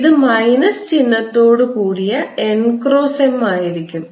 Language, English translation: Malayalam, it is n cross m with the minus sign